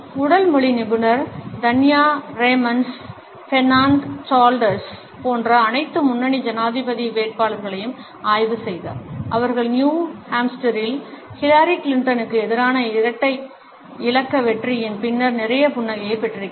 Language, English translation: Tamil, Body language expert Tanya Raymond’s studied all the leading presidential candidates like Bernard Sanders who sure has lot of smile about after that double digit victory over Hillary Clinton in New Hamster